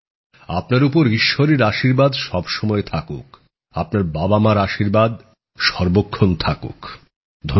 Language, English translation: Bengali, May the blessings of All Mighty remain with you, blessings of motherfather be with you